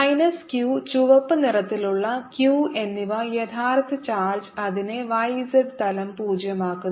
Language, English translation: Malayalam, minus q and red q the real charge make it zero on the y z plane